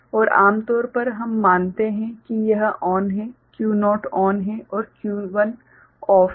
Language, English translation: Hindi, And generally we consider this is ON, Q naught is ON and Q 1 is OFF right